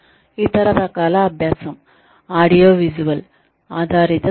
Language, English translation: Telugu, The other type of learning is, audiovisual based training